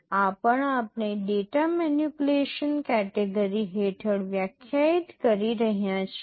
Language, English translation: Gujarati, This also we are defining under the data manipulation category